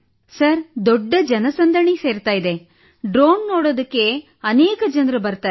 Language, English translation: Kannada, Sir, there is a huge crowd… many people come to see the drone